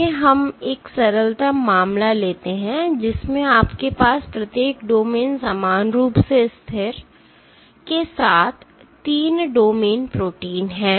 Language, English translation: Hindi, Let us take a simplest case you have a 3 domain protein, with each domain “equally stable”